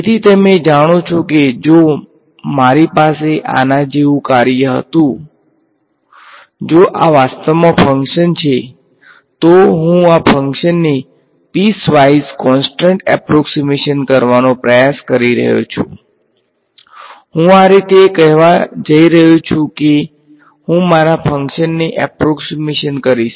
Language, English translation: Gujarati, So, it is you know if I had a function like this; if this is the actual function, I am trying to make a piece wise constant approximation of this function right I am going to say this is how I am going to approximate my function